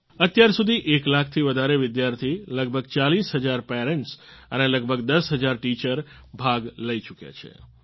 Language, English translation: Gujarati, So far, more than one lakh students, about 40 thousand parents, and about 10 thousand teachers have participated